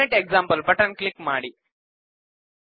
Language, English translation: Kannada, Click the Format example button